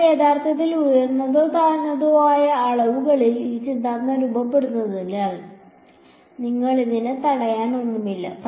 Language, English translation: Malayalam, But actually there is nothing preventing you from formulating this theorem in higher or lower dimensions ok